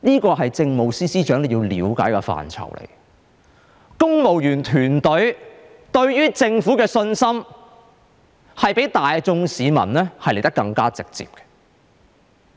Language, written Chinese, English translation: Cantonese, 這是政務司司長要了解的範疇，公務員團隊對於政府的信心較大眾市民來得更直接。, The Civil Service is more direct in expressing its confidence in the Government than members of the public . I have spent 10 minutes on the first part . Actually it only drives to one conclusion